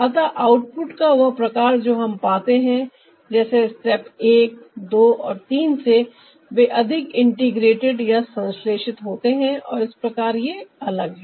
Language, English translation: Hindi, so the kind of output that we get from the step like one, two and three, they are more integrated and thus they are different